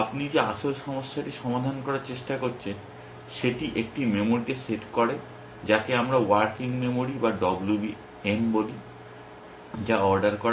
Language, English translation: Bengali, Whereas the actual problem that you have trying to solve sets in a memory which we call as working memory or WM which is also ordered